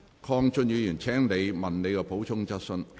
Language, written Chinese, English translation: Cantonese, 鄺俊宇議員，請提出你的補充質詢。, Mr KWONG Chun - yu please raise your supplementary question